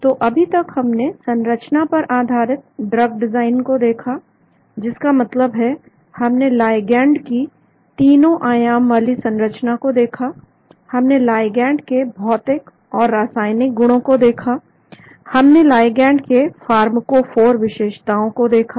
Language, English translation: Hindi, So far we looked at structure based drug design, that means we looked at the 3 dimensional structure of the ligand, we looked at the physicochemical properties of ligand, we looked at the pharmacophoric features of the ligand